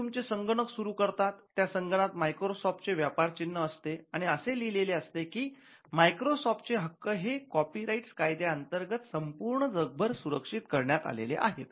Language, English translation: Marathi, Now, when you switch over on your Microsoft PC, you will find the Microsoft trademark and the notice is coming that it is protected by copyright and other laws all over the world